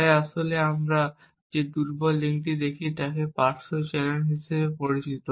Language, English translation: Bengali, So the weak link that we actually look is known as side channels